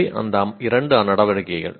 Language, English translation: Tamil, These are the two activities